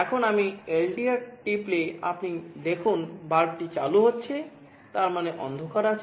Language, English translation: Bengali, Now if I press the LDR, you see the bulb is getting switched on; that means, there is darkness